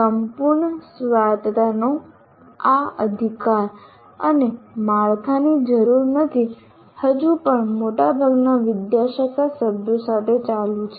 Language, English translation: Gujarati, So this right to total autonomy and no need for a framework still continue with majority of the faculty members